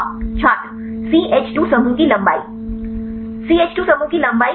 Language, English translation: Hindi, Length of the CH2 group Length of the CH 2 group right